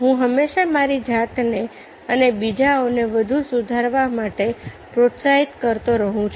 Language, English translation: Gujarati, i always keep motivating myself and others to improve further motivation